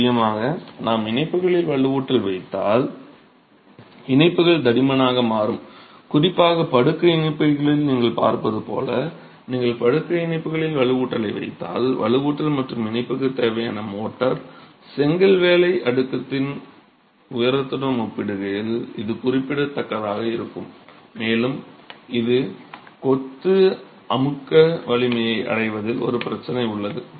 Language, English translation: Tamil, Of course if you place reinforcement in joints, the joints will become thicker and particularly when they are in the bed joints as you see here if you place reinforcement in the bed joints the reinforcement plus the motor that is required for the joint is going to be significant enough in comparison to the height of the brickwork layer itself